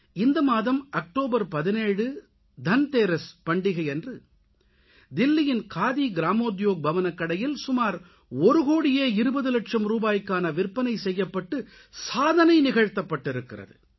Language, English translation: Tamil, You will be glad to know that on the 17th of this month on the day of Dhanteras, the Khadi Gramodyog Bhavan store in Delhi witnessed a record sale of Rupees one crore, twenty lakhs